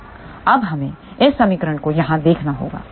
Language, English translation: Hindi, Now, we need to look at this equation here